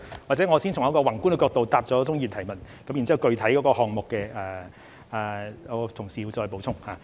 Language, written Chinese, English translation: Cantonese, 或者我先從一個宏觀的角度回答鍾議員的補充質詢，然後具體項目部分，我的同事會再補充。, Perhaps let me answer Mr CHUNGs supplementary question from a macroscopic perspective first and then my colleague will provide supplementary information on the part concerning the project specifically